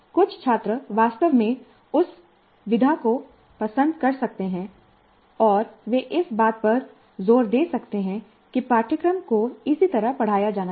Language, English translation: Hindi, Some of the students may actually like that mode and they may insist that that is how the courses should be taught